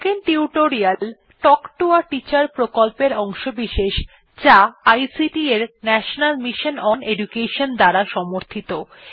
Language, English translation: Bengali, Spoken Tutorial Project is a part of the Talk to a Teacher project, supported by the National Mission on Education through ICT